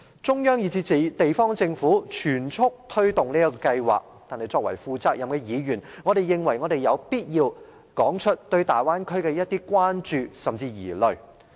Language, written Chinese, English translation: Cantonese, 中央以至地方政府全速推動這項計劃。但是，作為負責任的議員，我認為我們有必要說出，對大灣區的一些關注甚至是疑慮。, Though the Central Authorities and the municipal governments have pressed ahead with this project I think as responsible Legislative Council Members we must voice our concerns and even worries about the Bay Area